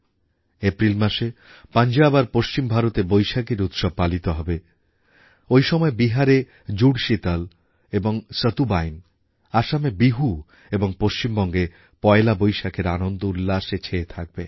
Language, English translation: Bengali, Vaisakhi will be celebrated in Punjab and in parts of western India in April; simultaneously, the twin festive connects of Jud Sheetal and Satuwain in Bihar, and Poila Vaisakh in West Bengal will envelop everyone with joy and delight